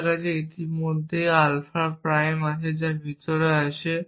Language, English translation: Bengali, I already have alpha prime here which has got inside